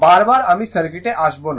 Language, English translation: Bengali, Again and again I will not come to the circuit